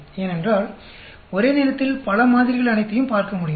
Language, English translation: Tamil, Because it can look at all the many samples in one go